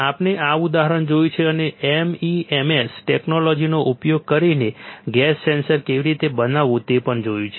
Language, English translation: Gujarati, We have seen this example and we have also seen how to fabricate gas sensor using MEMS technology